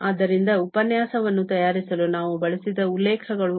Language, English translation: Kannada, So, these are the references we have used for preparing the lecture